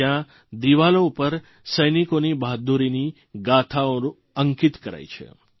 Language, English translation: Gujarati, It is a gallery whose walls are inscribed with soldiers' tales of valour